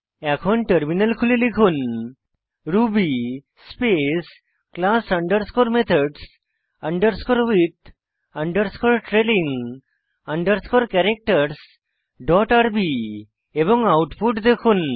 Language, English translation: Bengali, Switch to the terminal and type ruby class underscore methods underscore with underscore trailing underscore characters dot rb and see the output